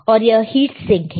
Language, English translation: Hindi, And again, there is a heat sink